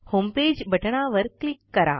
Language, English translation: Marathi, Lets click on the homepage button